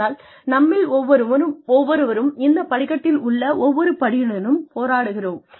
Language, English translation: Tamil, But, every one of us is struggling, with every step on the staircase